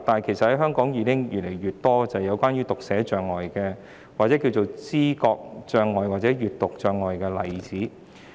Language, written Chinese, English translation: Cantonese, 其實，香港有越來越多患有讀寫障礙、知覺障礙或閱讀障礙的人士。, In fact the number of Hong Kong people with dyslexia or perceptual or reading disabilities has been on the rise